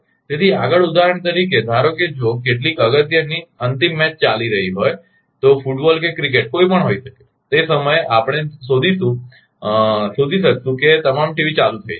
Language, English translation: Gujarati, ah So, further for example suppose if some some ah some final some important final match is going on may be football may be cricket what so, ever at that time we will find that all team is will be switched on